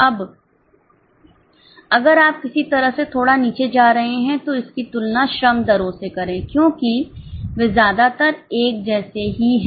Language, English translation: Hindi, Now, if you are getting sort of boggle down, just compare it with the labor rates because there are more or less same